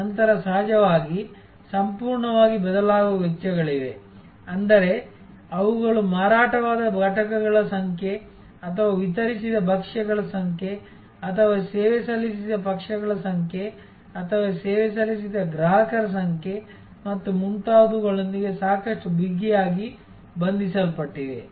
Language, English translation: Kannada, Then of course, there are costs which are totally variable; that means, they are quite tightly tied to the number of units sold or number of dishes delivered or number of parties served or number of customer served and so on